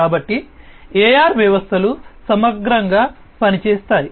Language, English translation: Telugu, So, this is how the AR systems work holistically